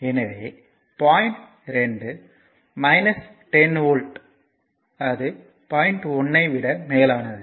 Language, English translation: Tamil, So, point meaning is point 1 is 10 volt above point 2 this is the meaning right